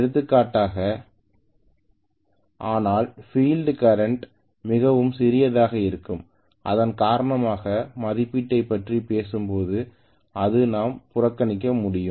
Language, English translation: Tamil, For example, but the field current is going to be really really small because of which we can kind of neglect it when we talk about the rating that is the way we look at it